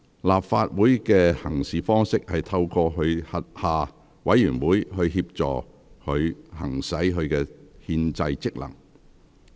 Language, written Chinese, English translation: Cantonese, 立法會的行事方式是透過其轄下委員會協助它行使其憲制職能。, It is the practice of the Legislative Council to exercise its constitutional powers and functions with the help of committees under it